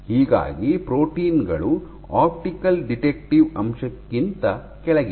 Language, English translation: Kannada, So, proteins are below the optical detective element